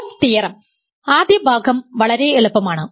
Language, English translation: Malayalam, So, proof theorem: the first part is fairly easy